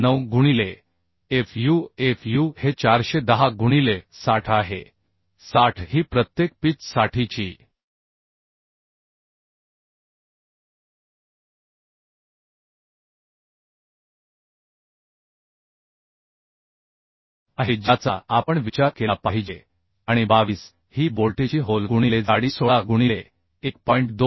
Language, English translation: Marathi, 9 into fu fu is 410 into 60 is the 60 is the pitch per pitch we have to consider and 22 is the bolt hole into thickness thickness will be 16 right by 1